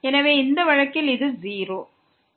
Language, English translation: Tamil, So, in this case this is 0